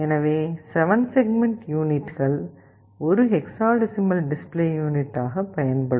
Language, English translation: Tamil, Therefore, the 7 segment units are very useful as a hexadecimal display device